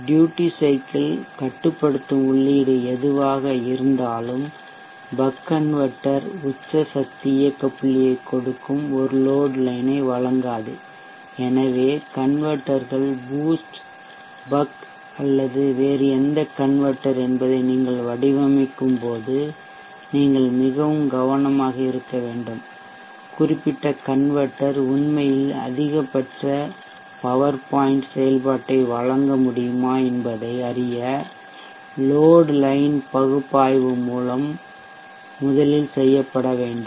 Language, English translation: Tamil, Whatever maybe the duty cycles the controlling input the buck converter will not provide a road line which will give a peak power operating point so you have to be very careful when you design the converters whether it be boost buck or any other converter the load line analysis has to be done first to ascertain whether that particular converter can really provide maximum power point operation you should for the buck converter how a scenario like this where the extreme 1/R0 slope line